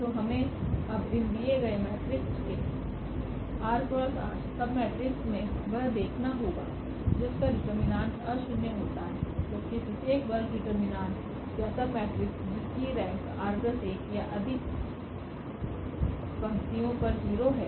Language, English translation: Hindi, So, we have to now get out of these given matrix r cross r submatrix which has the nonzero determinant whereas, the determinant of every square determinant or every square submatrix of r plus 1 or more rows is 0